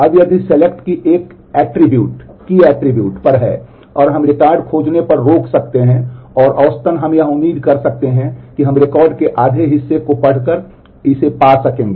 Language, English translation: Hindi, Now, if the selection is on a key attribute and we can stop find on finding the record and on the average we can expect that we will be able to find it by having read half of the record